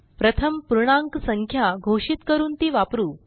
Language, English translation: Marathi, Let us define and use integers first